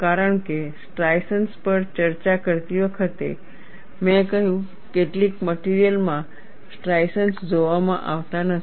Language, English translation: Gujarati, Because while discussing striations I said, in some materials striations are not seen